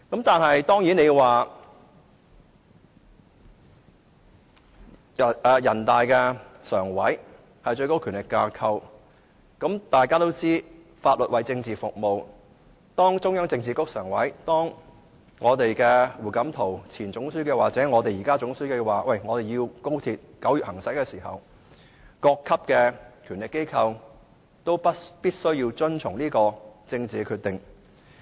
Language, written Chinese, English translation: Cantonese, 當然，人大常委會是最高權力架構，大家都知道，法律為政治服務，當中央政治局常委，當前總書記胡錦濤或現任總書記表示高鐵要在9月通車的時候，各級權力機構必須遵從這項政治決定。, Certainly NPCSC is the highest power organ . As we all know all laws are enacted to serve politics . When HU Jintao a former member of the Politburo Standing Committee and General Secretary or the incumbent General Secretary indicated that the commissioning of XRL was scheduled for September organs of power at various levels had to follow this political decision